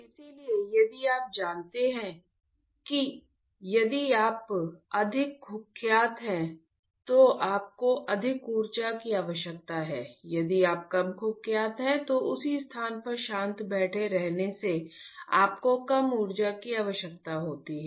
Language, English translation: Hindi, So, if you if you know if you are more notorious you require more energy, if you are less notorious, calm sitting on the same place you require less energy